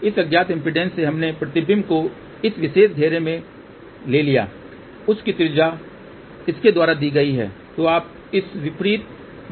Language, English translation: Hindi, From this unknown impedance we took the reflection along this particular circle the radius of that is given by this